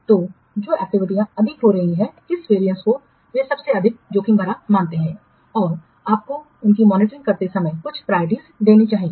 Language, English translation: Hindi, So, which the activities which are having high what variance, they will be treated as what most risky and you should give some priority to what monitor while monitoring them